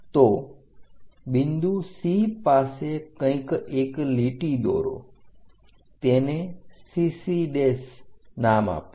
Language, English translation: Gujarati, So, somewhere at point C draw a line name it CC prime